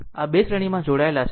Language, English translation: Gujarati, These 2 are connected in series